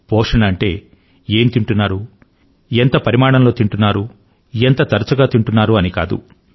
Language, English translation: Telugu, And nutrition merely does not only imply what you eat but also how much you eat and how often you eat